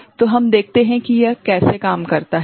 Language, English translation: Hindi, So, let us see how it works